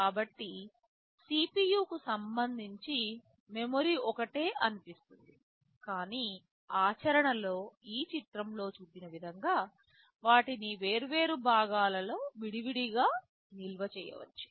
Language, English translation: Telugu, So, with respect to CPU it appears that the memory is the same, but in practice we may store them separately in separate parts as this diagram shows